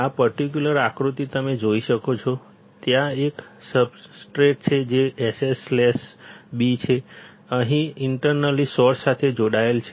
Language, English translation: Gujarati, This particular figure if you see, there is a substrate which is SS slash B; this is internally connected to the source over here